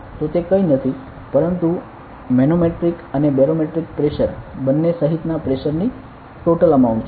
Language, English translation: Gujarati, So, it is nothing, but the total amount of pressure including both manometric and barometric pressure